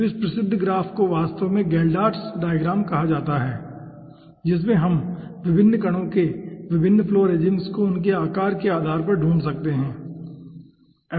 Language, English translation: Hindi, so this famous graph is actually called geldarts diagram in which we can find out different flow regimes of different particles based on their sizes